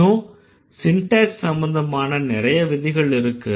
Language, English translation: Tamil, There are more rules, there are more syntax bound rules